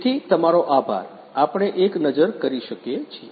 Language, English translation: Gujarati, So, thank you so much can we have a look at the